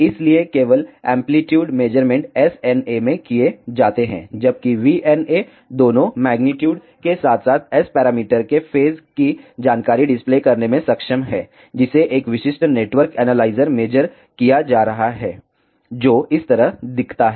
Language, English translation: Hindi, So, only amplitude measurements are done in SNA whereas, VNA is capable of displaying both magnitude as well as phase information of the S parameters, which are being measured a typical network analyzer looks like this